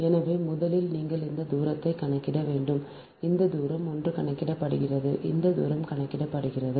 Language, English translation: Tamil, so first you have to calculate this distances one, this distances are computed, this ah distances are computed